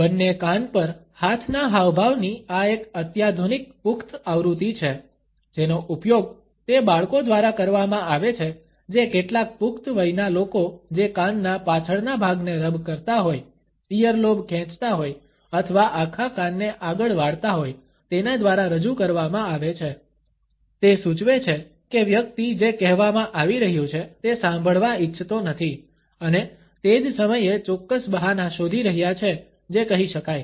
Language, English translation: Gujarati, This is a sophisticated adult version of the hands over both ears gesture, used by those children who are being represented by some adult rubbing the back of the ear, pulling at the earlobe or bending the entire ear forward, suggest the person does not want to listen to what is being said and at the same time is looking for certain excuses, which can be passed on